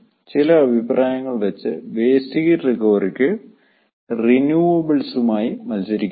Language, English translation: Malayalam, according to some opinion, waste heat recovery can compete well with renewables